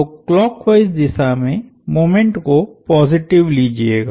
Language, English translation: Hindi, So, taking clockwise moments positive